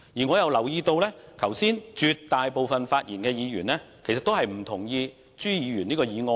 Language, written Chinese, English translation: Cantonese, 我亦留意到剛才發言的議員，其實絕大部分也不贊同朱議員的議案。, I also noted that most of the Members who have spoken just now in fact do not support Mr CHUs motion